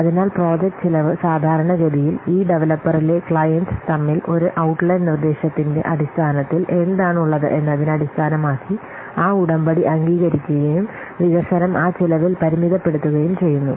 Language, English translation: Malayalam, So, the project cost normally it is agreed on between the client and this developer based on what on the basis of an outline proposal and the development is constrained by that cost